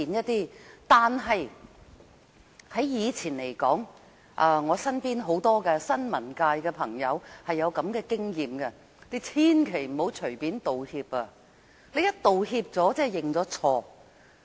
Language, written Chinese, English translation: Cantonese, 但是，從以前的事例中，包括我身邊的新聞界朋友都有類似經驗，便是千萬不要隨便道歉，因為一旦道歉便等於認錯。, However in past cases including similar experiences of my friends in the media sector we should not apologize lightly because making an apology is tantamount to the admission of fault